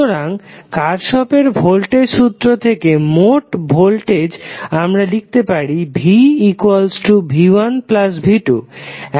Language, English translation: Bengali, So total voltage from Kirchhoff voltage law, you can write v is nothing but v¬1¬ plus v¬2¬